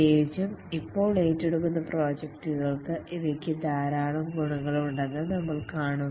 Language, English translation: Malayalam, We will see that these have a lot of advantages, especially for the projects that are being undertaken now